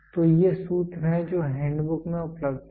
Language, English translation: Hindi, So, these are formulas which are available in the handbook